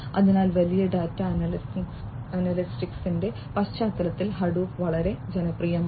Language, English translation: Malayalam, So, Hadoop is quite popular in the context of big data analytics